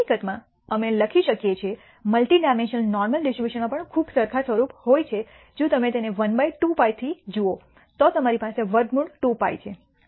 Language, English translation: Gujarati, In fact, we can write the multi dimensional normal distribution also has a very similar form if you look at it 1 by 2 pi we had square root of 2 pi